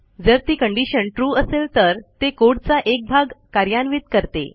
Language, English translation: Marathi, If the condition is True, it executes one path of code